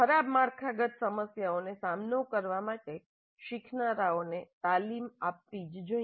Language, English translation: Gujarati, So, learners must be trained to deal with ill structured problems